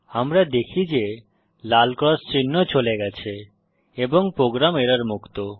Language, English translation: Bengali, We see that the red cross mark have gone and the program is error free